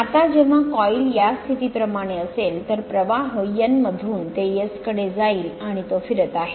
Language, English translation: Marathi, Now when the coil is in like this position right, so flux moving from N to S and it is revolving